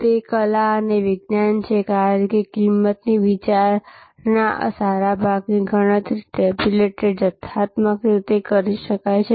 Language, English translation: Gujarati, It is art and science, because a good part of the pricing consideration can be calculated, tabulated, figured out quantitatively